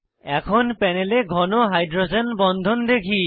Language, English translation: Bengali, Now on the panel we can see thicker hydrogen bonds